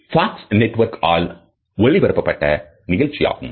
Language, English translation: Tamil, It originally ran on the Fox network in January 2009